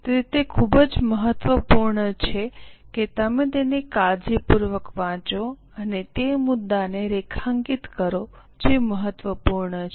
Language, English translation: Gujarati, So, it is very important that you read it carefully and underline that point which is important